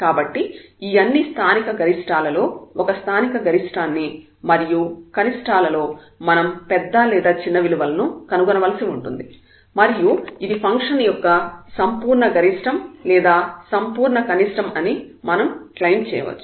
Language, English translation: Telugu, So, among all these local maximas a local maxima and minima we have to find the largest the smallest values and then we can claim that this is the absolute maximum or the absolute minimum or the a function